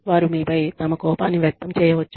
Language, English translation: Telugu, They may end up, venting their anger on you